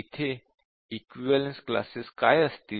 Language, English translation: Marathi, So what will be the equivalence classes here